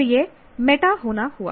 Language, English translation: Hindi, So that is going meta